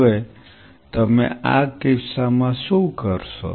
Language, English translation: Gujarati, Now what you do in this case